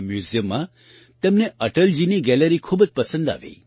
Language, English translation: Gujarati, She liked Atal ji's gallery very much in this museum